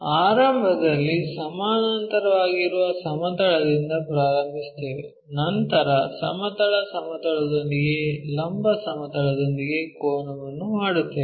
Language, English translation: Kannada, So, initially we begin with a plane which is parallel, then make an angle with vertical planeah with the horizontal plane